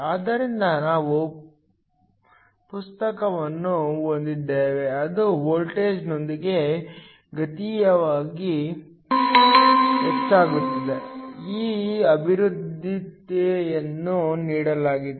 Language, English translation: Kannada, So, we have the current which increases exponentially with the voltage, just given by this expression